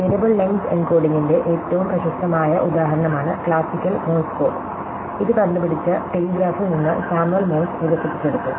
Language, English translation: Malayalam, So, one of the most famous examples of the variable length encoding is the classical Morse code, which is developed by Samuel Morse from the telegraph who is invented